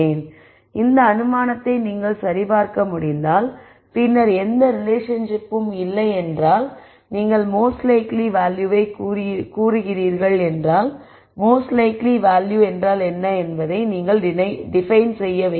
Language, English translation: Tamil, So, if you could verify this assumption and then if there was no relationship, then you say the most likely value then you have to define what the most likely value means